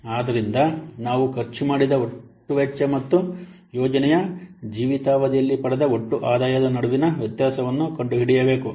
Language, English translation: Kannada, So, we have to find out the difference between the total cost spent and the total income obtained over the life of the project